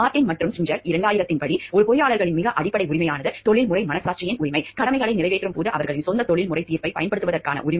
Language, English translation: Tamil, As per Martin and Schinzinger, 2000, the most fundamental right of an engineer is the right of professional conscience, to right to apply own professional judgment while discharging duties